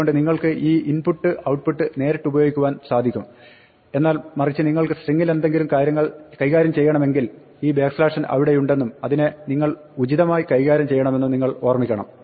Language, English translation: Malayalam, So, you can use this input output directly, but on the other hand, if you want to do some manipulation of the string then you must remember this backslash n is there and you must deal with it appropriately